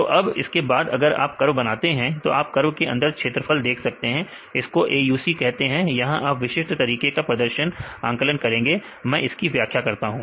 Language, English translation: Hindi, So, then if you make a curve then you can see the area under the curve; that is called AUC, this will estimate the performance of your particular methods I will just explain